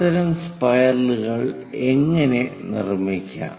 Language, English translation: Malayalam, How to construct such kind of spirals